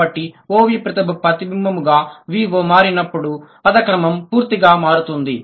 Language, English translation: Telugu, So, when O, V becomes the mirror image as VO, the order to completely changes